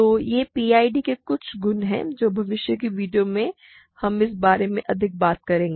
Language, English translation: Hindi, So, these are some of the properties of PIDs and in the future videos, we will talk more about this